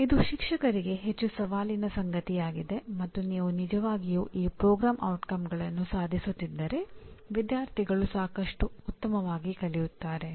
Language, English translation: Kannada, It is more challenging to the teacher and if you are really attaining these program outcomes the students will learn lot better